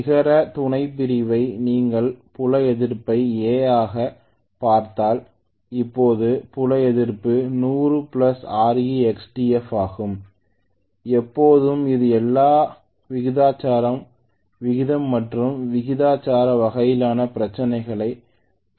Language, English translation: Tamil, if you look at net sub division the field resistance as an A, so now the field resistance is 100 plus R external F right, always this is all proportion, ratio and proportion kind of problems most of them